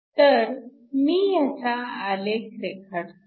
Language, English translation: Marathi, So, lets me draw that next